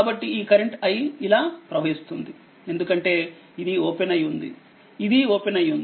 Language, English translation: Telugu, So, this current is i, this i is flowing like this; i is flowing like this right because this is open this is open right